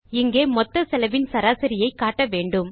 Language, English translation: Tamil, Here we want to display the average of the total cost